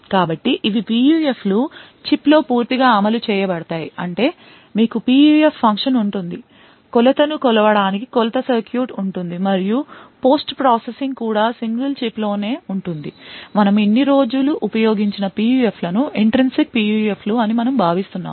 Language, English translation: Telugu, So, these are PUFs which can be completely implemented within a chip that is you would have a PUF function, the measurement circuit to actually measure the response and also, post processing is also, present within that single chip, most PUFs that we used these days are with most PUFs which we actually consider these days are all Intrinsic PUFs